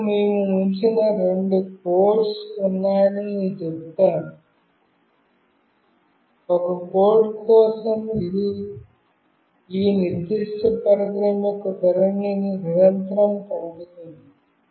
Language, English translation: Telugu, And I said there are two set of codes that we have put; for one code it will continuously send what is the orientation of this particular device